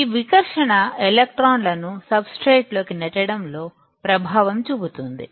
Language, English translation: Telugu, This repulsion will effect in the pushing the electrons down into the substrate